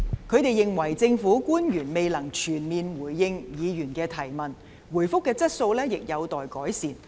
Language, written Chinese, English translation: Cantonese, 他們認為政府官員未能全面回應議員的質詢，答覆的質素亦有待改善。, They thought that the public officers had not fully responded to Members questions and the quality of the replies in need of improvement